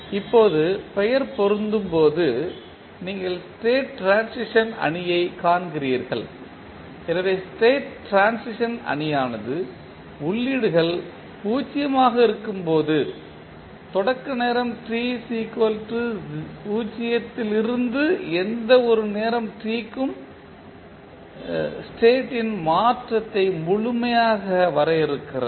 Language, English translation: Tamil, Now, as the name applies, you see the state transition matrix, so the state transition matrix completely defines the transition of the state from the initial time t is equal to 0 to any time t when the inputs are zero